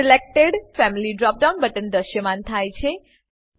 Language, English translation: Gujarati, Selected Family drop down button appears